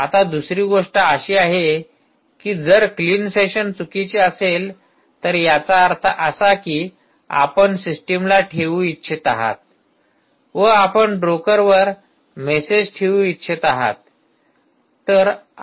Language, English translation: Marathi, now the other thing is: if clean session is equal to false, that means you want to keep the system, you want to keep the message on the broker